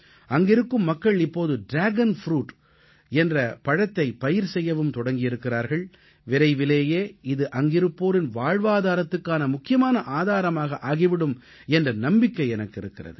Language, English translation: Tamil, The locals have now started the cultivation of Dragon fruit and I am sure that it will soon become a major source of livelihood for the people there